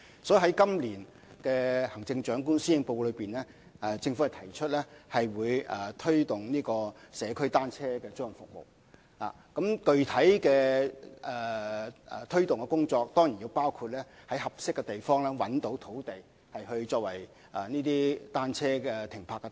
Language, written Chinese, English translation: Cantonese, 所以，在今年的行政長官施政報告中，政府提出會推動社區單車租賃服務，而具體的推動工作當然包括在合適地方找尋土地，作為出租單車的停泊之處。, For this reason in the Policy Address of the Chief Executive this year the Government proposes to promote community bicycle rental services . One specific measure is of course the identification of sites in suitable places for parking rental bicycles